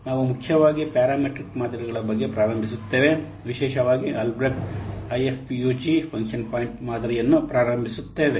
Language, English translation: Kannada, We'll mainly start about the parameter models, especially the Albreached I F UG function point model